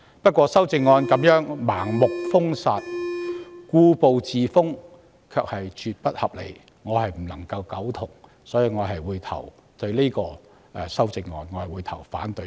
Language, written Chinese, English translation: Cantonese, 不過，范議員的修正案盲目封殺、故步自封，絕不合理，我無法苟同，所以我會對這項修正案投反對票。, However as Mr FANs amendment blindly calls for a boycott refuses to make progress and is absolutely unjustified I can by no means agree with it and I will therefore vote against it